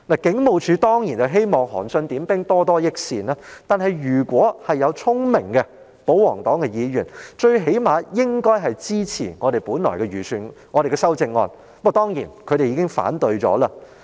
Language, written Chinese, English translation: Cantonese, 警務處當然希望可以"韓信點兵，多多益善"，但保皇黨中如有議員聰明一點，最低限度也應支持我們提出的修正案，不過他們已全數否決了。, It is surely the hope of the Police Force to have as many resources provided by the Government as possible but if any of the royalist Members is smart enough to understand what I am saying they should at least support the amendments we proposed . But all of them have already been negatived